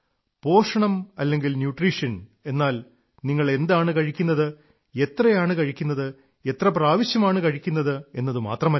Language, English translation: Malayalam, And nutrition merely does not only imply what you eat but also how much you eat and how often you eat